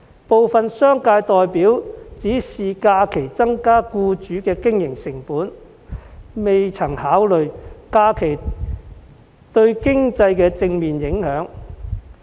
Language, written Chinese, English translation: Cantonese, 部分商界代表只看到假期增加僱主的經營成本，卻未曾考慮假期對經濟的正面影響。, Some representatives of the business sector only see the increase in employers operating cost arising from additional holidays but fail to consider the positive impacts of the holidays on the economy